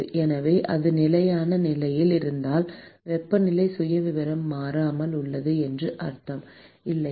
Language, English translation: Tamil, So, if it is under steady state conditions, it means that the temperature profile remains constant, right